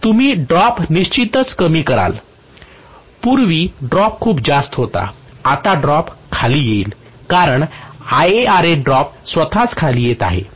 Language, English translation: Marathi, So you are going to have the droop definitely decreased previously the droop was quite high now the droop will come down because ia Ra drop itself is coming down